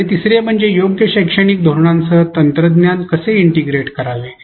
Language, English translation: Marathi, And third is how to integrate technology with appropriate pedagogical strategies